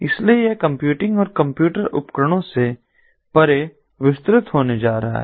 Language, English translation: Hindi, so it is going to be expanded beyond computing and computer devices being connected